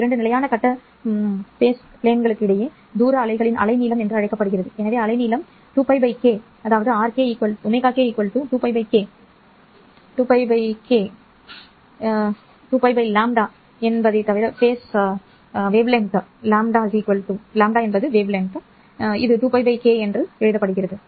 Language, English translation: Tamil, The distance between two constant phase planes is called the wavelength of the wave and therefore you will see that wavelength is nothing but 2 pi by k or k is equal to 2 pi by lambda